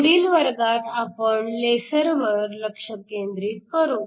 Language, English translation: Marathi, So, we look at lasers in the next class